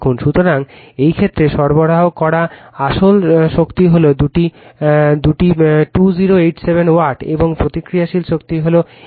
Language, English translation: Bengali, So, in this case, the real power supplied is that two 2087 watt, and the reactive power is 834